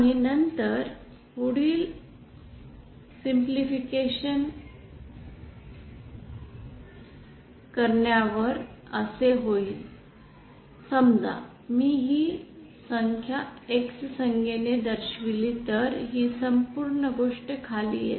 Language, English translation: Marathi, And then on further simplification this comes out to be like this and suppose I denote this quantity by the terms x then this whole thing comes down too